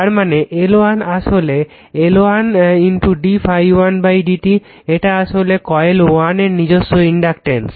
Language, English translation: Bengali, So that means, L 1 is equal to actually L 1 d phi 1 upon d i1 it is actually self inductance of coil 1 right this is self inductance of coil 1